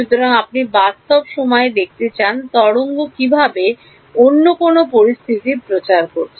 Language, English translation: Bengali, So, you want to see in real time, how is the wave propagating any other situation